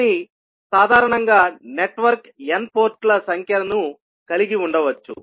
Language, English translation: Telugu, But in general, the network can have n number of ports